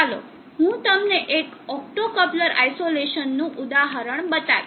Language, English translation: Gujarati, Here is an example of an optocoupler isolation